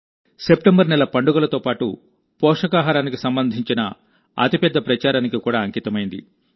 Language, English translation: Telugu, The month of September is dedicated to festivals as well as a big campaign related to nutrition